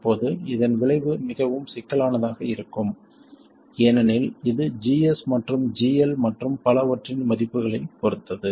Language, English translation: Tamil, Now the effect of this it turns out can be quite complicated because it depends on the values of GS and GL and so on